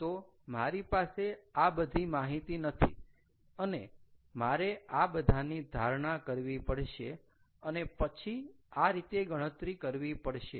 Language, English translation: Gujarati, so i dont have this data, i have got to assume something and then calculate it in this manner